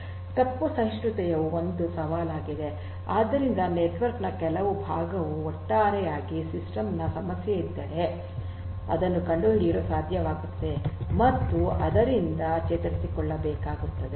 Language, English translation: Kannada, Fault tolerance is a challenge so, if some part of the network goes down the system as a whole will have to be able to detect that and will have to recover from it